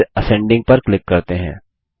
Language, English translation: Hindi, And then click on ascending